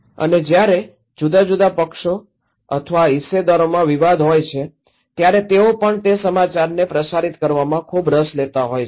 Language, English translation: Gujarati, And when there is a conflict among different parties or stakeholders they are also very interested to transmit that news